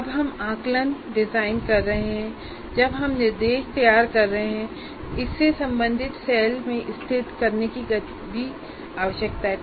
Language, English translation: Hindi, And when we are designing assessments or when we are designing instruction, that also we need to locate in the corresponding cell